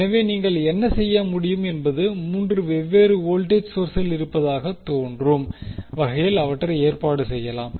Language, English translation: Tamil, So, what you can do you can arrange them in such a way that it looks like there are 3 different voltage sources